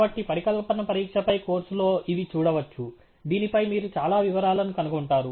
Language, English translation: Telugu, So, may be in the course on hypothesis testing, you will find a lot of details on this